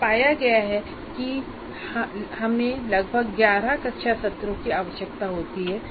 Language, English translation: Hindi, So, it was found that we require, we will require about 11 classroom sessions